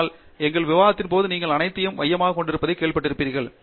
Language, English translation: Tamil, But, all throughout our discussion you also heard that you being the centre of all of this